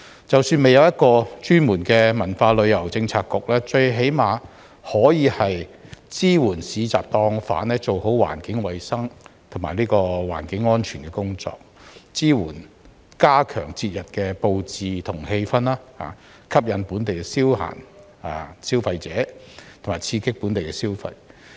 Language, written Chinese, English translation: Cantonese, 即使未有一個專門的文化旅遊政策局，政府最低限度亦可以支援市集檔販做好環境衞生及環境安全的工作，以及支援他們加強節日布置和氣氛，吸引本地消費者、刺激本地消費。, Even without a dedicated Policy Bureau for culture and tourism the Government should at least support the market stall operators to do a better job in environmental hygiene and environmental safety and help them to enhance the festive decorations and ambience which can attract local consumers and in turn stimulate local spending